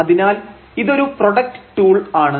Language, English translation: Malayalam, So, this is a product tool